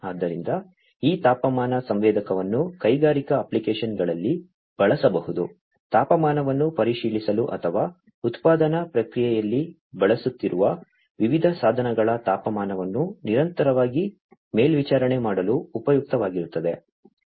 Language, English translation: Kannada, So, this temperature sensor could be used in industrial applications, to check the temperature or to monitor continuously monitor the temperature of the different devices that are being used in the manufacturing process